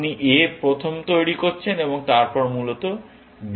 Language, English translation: Bengali, You are generating a first, and then, b, essentially